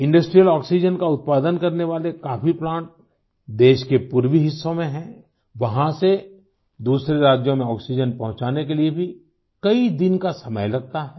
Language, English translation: Hindi, Many plants manufacturing industrial oxygen are located in the eastern parts of the country…transporting oxygen from there to other states of the country requires many days